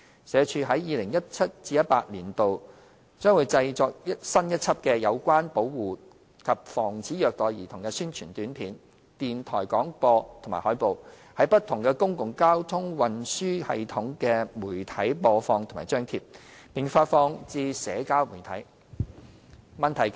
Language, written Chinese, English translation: Cantonese, 社署在 2017-2018 年度將製作新一輯有關保護及防止虐待兒童的宣傳短片、電台廣播及海報，於不同公共交通運輸系統的媒體播放及張貼，並發放至社交媒體。, In 2017 - 2018 SWD will also launch a series of APIs as well as disseminate the messages of child protection and prevention of child abuse in public transportation systems and through posters and hyperlinks to social media